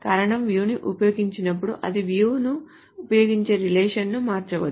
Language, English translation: Telugu, The reason is when the view is used, the relation that it uses the view from may have changed